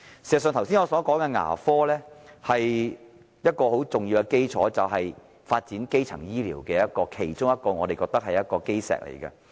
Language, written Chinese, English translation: Cantonese, 事實上，我剛才所說的牙科是一個很重要的基礎，是發展基層醫療的其中一塊基石。, In fact the dental care services I mentioned just now are a very important foundation as well as a cornerstone for the development of primary healthcare services